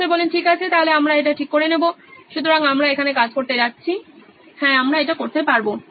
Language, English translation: Bengali, Okay, so we will fix it at that one, so we are going to do work here yeah we can do that